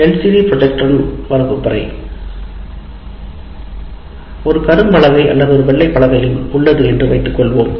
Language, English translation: Tamil, Coming to the classroom with LCD projector, we assume there is also a board, a blackboard or a white board, the teacher can make use of it